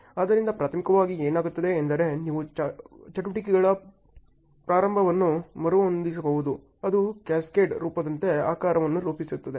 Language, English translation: Kannada, So, primarily what happens is you can rearrange the starts of activities in such a way that it just coincides and forms a shape like a cascade form